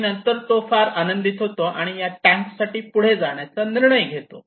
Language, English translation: Marathi, And then he was very happy and decided to go for this tank